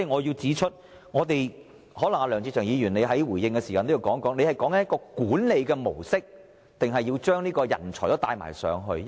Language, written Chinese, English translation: Cantonese, 因此，梁志祥議員稍後在回應時可能亦須解釋一下，他所指的是管理模式，還是要將人才也輸送入內地？, It may thus be necessary for Mr LEUNG Che - cheung to explain later when giving his reply whether he is seeking to transfer our management mode or personnel to the Mainland